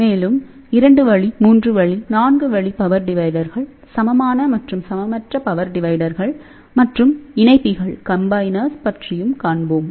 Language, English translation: Tamil, So, we will talk about 2 way, 3 way, 4 way power dividers equal and unequal power dividers and combiners